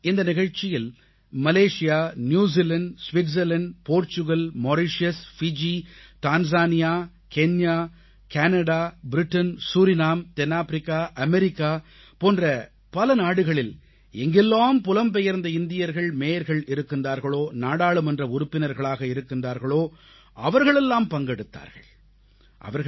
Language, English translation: Tamil, You will be pleased to know that in this programme, Malaysia, New Zealand, Switzerland, Portugal, Mauritius, Fiji, Tanzania, Kenya, Canada, Britain, Surinam, South Africa and America, and many other countries wherever our Mayors or MPs of Indian Origin exist, all of them participated